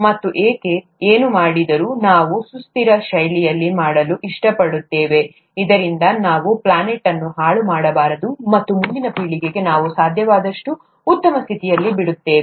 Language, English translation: Kannada, And, whatever we do, we like to do in a sustainable fashion, so that we don’t spoil the our planet, and leave it for the next generations in the best state that we can